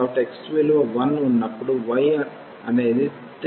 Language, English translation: Telugu, So, when x is 1 the y is 3